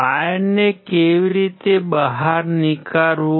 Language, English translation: Gujarati, How to take out the wire